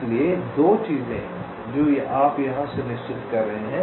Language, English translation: Hindi, so there are two things that you are just ensuring here